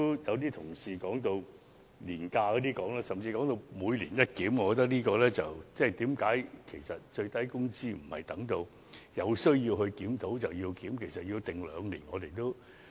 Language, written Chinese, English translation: Cantonese, 有同事剛才提及年假，甚至要求最低工資"每年一檢"，我覺得最低工資應該在有需要檢討的時候才檢討。, Earlier on some colleagues mentioned annual leave and even demanded that the minimum wage rate be reviewed once every year . I think the minimum wage rate should be reviewed only on a need basis